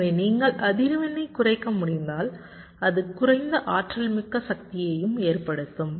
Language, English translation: Tamil, so if you can reduce the frequency, that will also result in less dynamics power